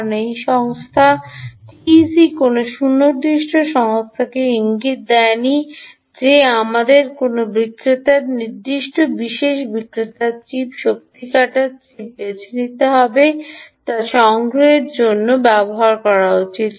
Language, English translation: Bengali, ok, because this company t e c has not indicated any specific ah company that we should use any vendor, particular vendor, ah chip, energy harvesting chip for harvesting to use ah to be chosen